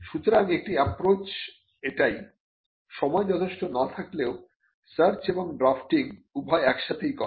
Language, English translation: Bengali, So, one approach even, if there is insufficient time is to do both the search and the drafting simultaneously